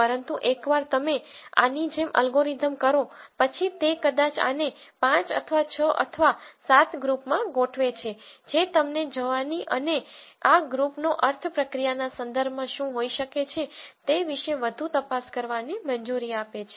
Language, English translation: Gujarati, But once you do an algorithm like this then it maybe organizes this into 5 or 6 or 7 groups then that allows you to go and probe more into what these groups might mean in terms of process operations and so on